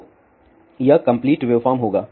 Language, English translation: Hindi, So, that will be a complete wave form